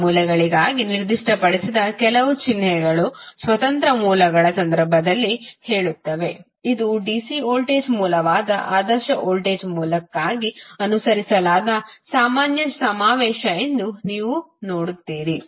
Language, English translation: Kannada, There are certain symbols specified for those sources say in case of independent sources you will see this is the general convention followed for ideal voltage source that is dc voltage source